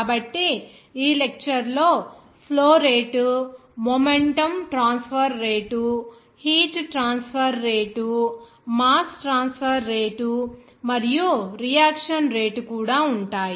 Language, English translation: Telugu, So, this lecture will include the flow rate, rate of momentum transfer, rate of heat transfer, rate of mass transfer, and also a rate of reaction